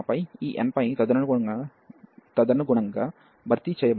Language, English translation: Telugu, And then this n pi will be replaced accordingly and n plus 1 pi as well